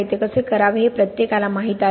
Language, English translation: Marathi, Everyone knows how to do it